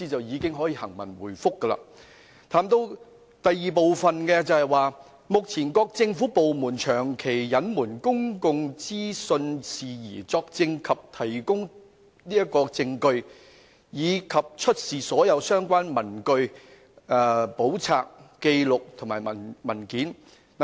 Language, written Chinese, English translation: Cantonese, 議案的第二部分指，"及目前各政府部門長期隱瞞公共資訊事宜，作證及提供證據，以及出示所有相關的文據、簿冊、紀錄或文件。, The second part of the motion reads to testify or give evidence and to produce all relevant papers books records or documents matters related to the persistent withholding of public information by government departments at present